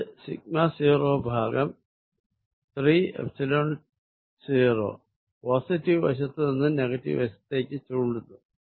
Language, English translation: Malayalam, So, this is sigma naught over 3 Epsilon 0 z in the minus z direction